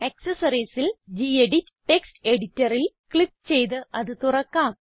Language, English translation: Malayalam, In Accessories, lets open gedit Text Editor by clicking on it